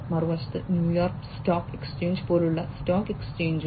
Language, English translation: Malayalam, On the other hand, you know stock exchanges like New York stock exchange, etcetera